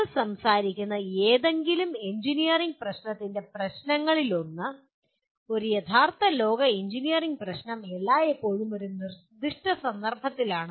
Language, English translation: Malayalam, One of the issues of any engineering problem that you talk about, a real world engineering problem is always situated in a given context